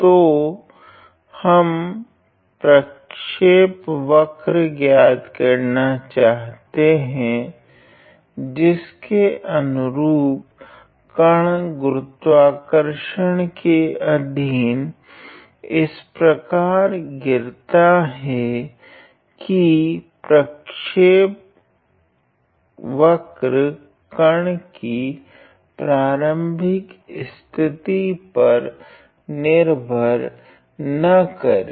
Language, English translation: Hindi, So, we need to find the trajectory along in which the particle is falling purely under the action of gravity such that the trajectory does not depend on the initial position of the particle ok